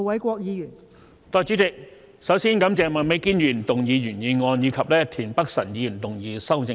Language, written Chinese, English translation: Cantonese, 代理主席，首先感謝麥美娟議員提出原議案，以及田北辰議員提出修正案。, Deputy President first of all I thank Ms Alice MAK for moving the original motion and Mr Michael TIEN for moving the amendment